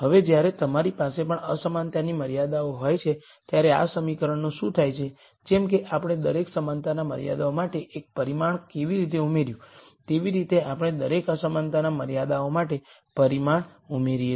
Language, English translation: Gujarati, Now, when you also have inequality constraints, what happens to this equation is, just like how we added a single parameter for every equality constraint, we add a parameter for each inequality constraints